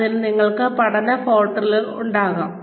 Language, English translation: Malayalam, In which, you could have learning portals